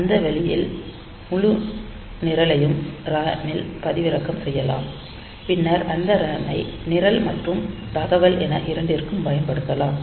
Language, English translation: Tamil, So, that way the entire program can be downloaded into the RAM and then we can use that RAM both for program as well as data